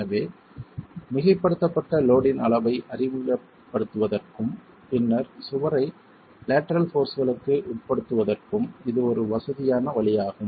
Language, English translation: Tamil, So, it's a convenient way of introducing the level of superimposed load and then subjecting the wall to lateral forces